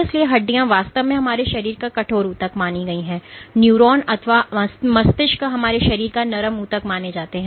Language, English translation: Hindi, So, bones are of course, the stiffest tissues in our body and neuronal tissue or the brain is among the softest tissue in our body